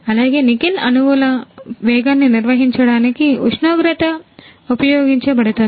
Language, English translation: Telugu, Also, the temperature is used to maintain the speed of Nickel atoms